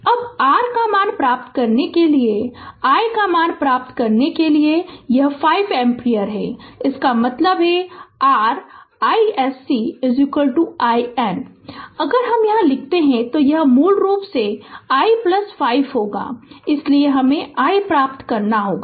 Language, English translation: Hindi, Now to get your ah this i this i value right, to get the i value, so this is this is 5 ampere; that means, your i s c is equal to i Norton; if i write from here, it will be basically i plus 5, so we have to obtain i